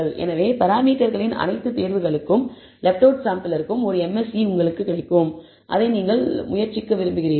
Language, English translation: Tamil, So, that you will get a MSE for the left out sample for all choices of the parameters; that you want to try out